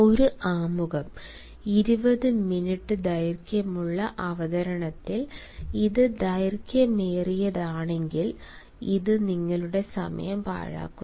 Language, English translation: Malayalam, an introduction: if it is long in a presentation of twenty minutes, it actually wastes your time